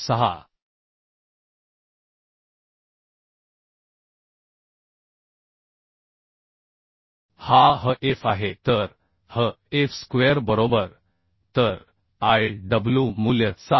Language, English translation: Marathi, 6 is the hf so hf square right So uhh Iw value can be found as 7